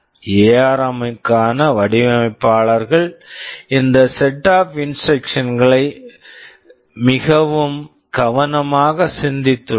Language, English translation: Tamil, The designers for ARM have very carefully thought out these set of instructions